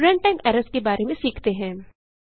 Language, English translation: Hindi, Lets now learn about runtime errors